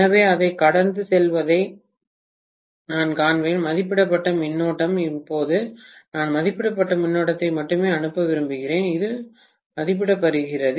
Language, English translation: Tamil, So, I would see that to pass rated current, now I want to pass only rated current, this is Irated